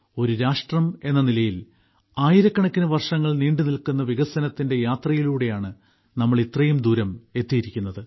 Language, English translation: Malayalam, As a nation, we have come this far through a journey of development spanning thousands of years